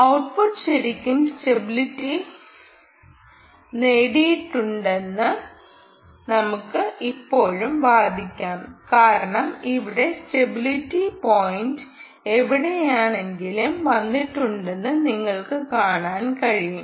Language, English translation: Malayalam, what you have seen here, i we can still argue that the output has not really stabilized, because you can see that the stability point has come somewhere here